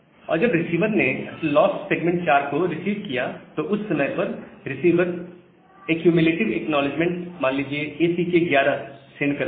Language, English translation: Hindi, And whenever the receiver received is missing 4 during that time, the receiver sends accumulative acknowledgement say ACK 11